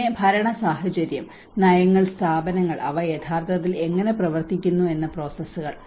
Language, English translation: Malayalam, And then the governance situation, the policies, institutions and the processes how they actually work